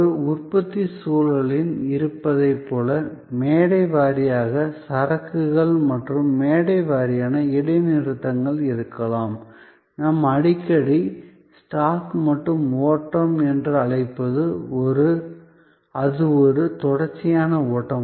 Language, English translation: Tamil, Like in a manufacturing situation, where there are, there can be stage wise inventories and stage wise pauses, what we often call stock and flow, here it is a continuous flow